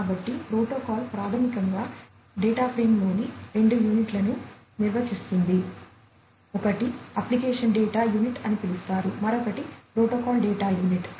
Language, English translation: Telugu, So, the protocol basically defines two units in the data frame; one is known as the application data unit, the other one is the protocol data unit